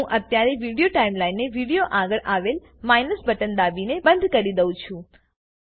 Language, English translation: Gujarati, I will collapse the Video Timeline now by clicking on the minus button next to Video